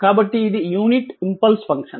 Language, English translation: Telugu, So, it is unit impulse function